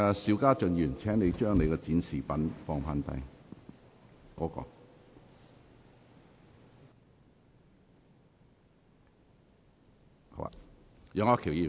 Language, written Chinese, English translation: Cantonese, 邵家臻議員，請放下你擺設的展示品。, Mr SHIU Ka - chun please put down your exhibit